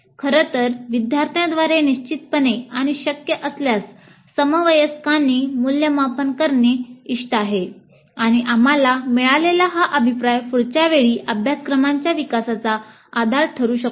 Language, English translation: Marathi, In fact it is desirable to have the evaluation by students definitely and if possible by peers and these feedback that we get would be the basis for development of the course delivery the next time